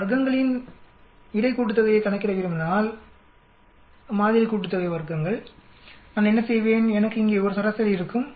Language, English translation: Tamil, If I want to calculate between sum of squares sample sum of squares what I will do I will have a mean here